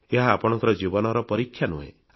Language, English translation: Odia, But it is not a test of your life